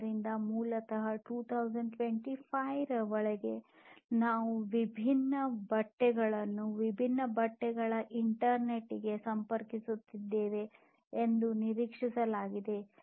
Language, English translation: Kannada, So, basically by 2025, it is expected that we will have the different clothing, the different fabrics, etc connected to the internet